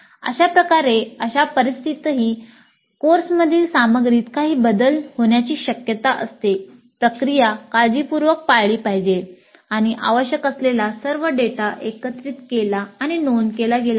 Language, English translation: Marathi, Thus, even in situations where there are likely to be some changes in the course contents, the process should be followed diligently and all the data required is collected and recorded